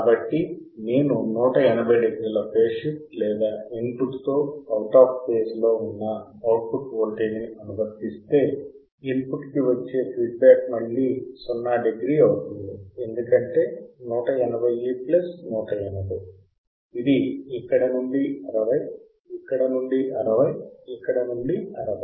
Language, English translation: Telugu, So, if I apply output voltage which is 180 degree of phase shift or out of phase with input then my feedback to the input will again be a 0 degree because 180 plus 180, this is 60 from here, 60 from here 60 from here